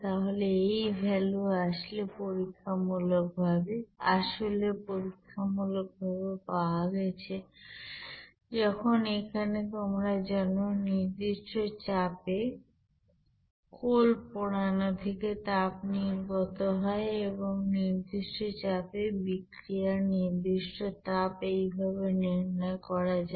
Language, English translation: Bengali, So this value is actually obtained experimentally when there is a you know heat released from that burning of coal at constant pressure and the specific heat of that reaction at constant pressure then can be calculated as like this